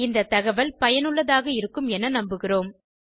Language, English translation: Tamil, Hope this information was helpful